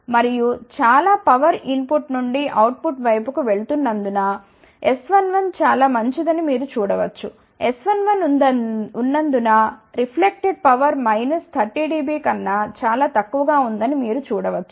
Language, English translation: Telugu, And, since most of the power is going from input to the output side you can see that S 1 1 is very good, you can see that the reflected power is very vey small as S 1 1 is even less than minus 30 dB